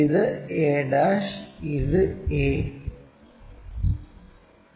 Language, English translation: Malayalam, This is a', this is a